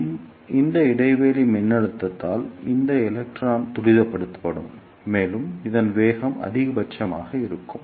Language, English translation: Tamil, So, because of this negative gap voltage, this electron will be decelerated and its velocity will be minimum